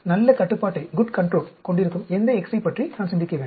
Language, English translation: Tamil, Which x’s should I think about having a good control on